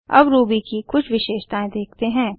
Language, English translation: Hindi, Now let us see some features of Ruby